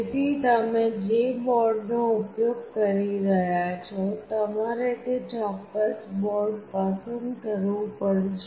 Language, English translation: Gujarati, So, whatever board you are using you have to select that particular board